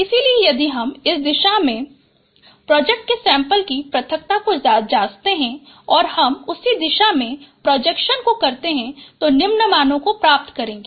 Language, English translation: Hindi, So if I take that direction and check the separability of projected samples, so we perform the same projections on that direction and these are the values we will get